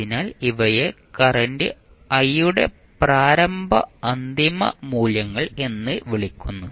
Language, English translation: Malayalam, So, these are called initial and final values of current i